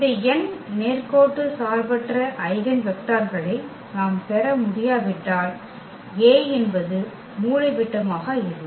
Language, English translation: Tamil, And if we cannot get these n linearly independent eigenvectors then the A is not diagonalizable